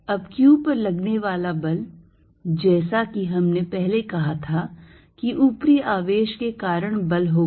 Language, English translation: Hindi, Now force, as we said earlier on q is going to be force due to upper charge